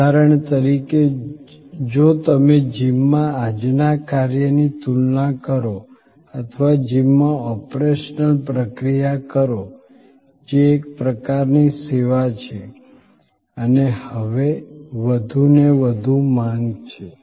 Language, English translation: Gujarati, For example, if you compare today's function in a gym or operational procedure in a gym which is a kind of a service and now more and more in demand